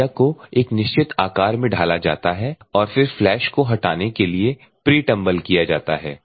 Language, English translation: Hindi, The media moulded into specified shape then a pre tumbled to the flash ok